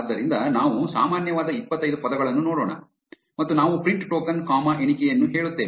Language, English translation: Kannada, So, let us look at the most common 25 words and we say print token comma count